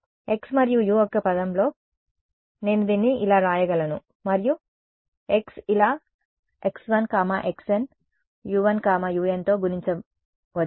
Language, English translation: Telugu, In terms of x and u, I can write this as and x like this x 1, x n multiplied by u 1, u n right